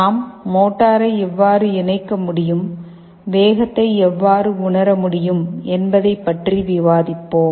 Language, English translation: Tamil, We shall be discussing how motor can be interfaced and how speed can be sensed